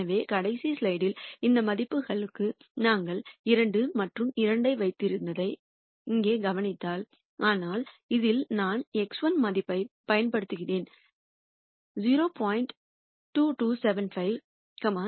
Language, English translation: Tamil, So, if you notice here in the last slide we had put 2 and 2 for these values, but in this you would see I am using the X 1 value minus 0